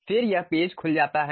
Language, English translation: Hindi, Then this page opens up